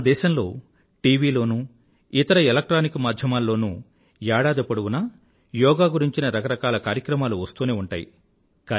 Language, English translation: Telugu, Usually, the country's Television and electronic media do a variety of programmes on Yoga the whole year